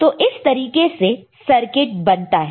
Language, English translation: Hindi, So, this is the way circuit is made